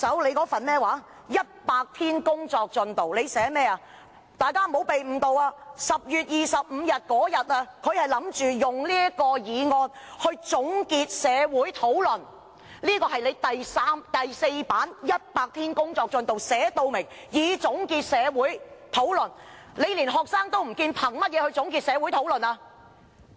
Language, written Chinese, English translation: Cantonese, 大家不要被誤導，她是打算在10月25日，以這個議案來"總結社會討論"，這是她在"就任首100天工作進展"第4頁寫明，動議該議案"以總結社會討論"。, We must not be misled . On page six of her Work Progress of the First 100 Days in Office she clearly says that the Government wants to move the motion with a view to concluding the public discussion